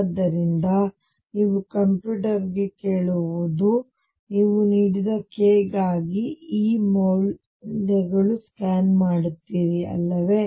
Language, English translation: Kannada, So, you ask to computer now you scan over values of E for a given k, right